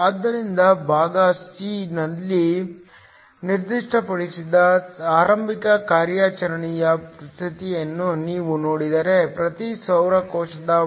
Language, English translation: Kannada, So, if you look at the initial operating condition that was specified in part a, the voltage for each solar cell is 0